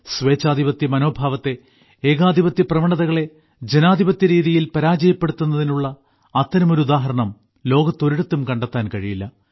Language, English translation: Malayalam, It is difficult to find such an example of defeating a dictatorial mindset, a dictatorial tendency in a democratic way, in the whole world